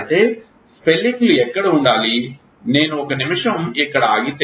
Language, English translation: Telugu, Now where are these spelling should; I will stop here for a minute